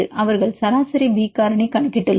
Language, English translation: Tamil, They have calculated average B factor